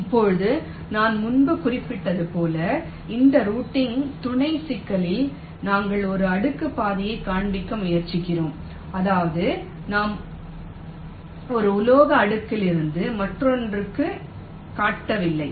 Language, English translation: Tamil, now, in this routing sub problem, as i mentioned earlier, we are trying to find out a single layer path that means we are not crossing from one metal layer to the other